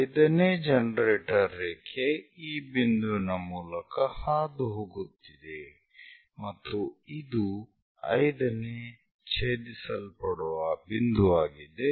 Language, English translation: Kannada, 5th generator line is passing through this point and 5th one intersecting point that